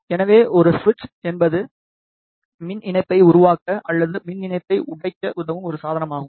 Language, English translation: Tamil, So, a switch is a device to make the electrical connection or to break the electrical connection